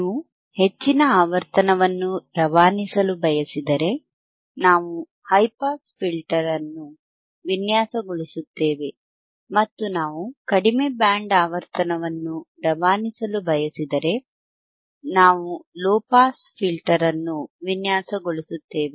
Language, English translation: Kannada, We have seen that if you want to pass highhype band frequency, we design a high pass filter, and if hwe wouldwant not design the lo to pass low band of frequency, we design a low pass filter,